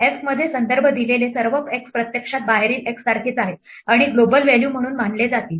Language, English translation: Marathi, All x’s referred to in f are actually the same as the x outside and to be treated as global values